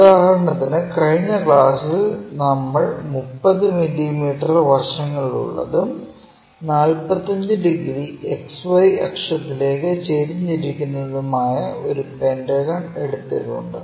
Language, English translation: Malayalam, For example, we have taken a pentagon in the last class which is of 30 mm sides with one of the side is 45 degrees inclined to XY axis